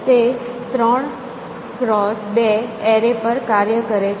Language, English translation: Gujarati, A three cross two arrays